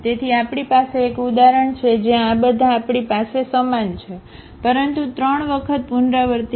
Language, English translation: Gujarati, So, we have an example where all these we have the same eigenvalues, but repeated three times